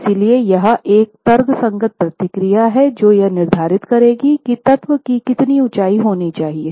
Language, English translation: Hindi, So, here is a rational procedure that is prescribed to identify what should be the height of the element itself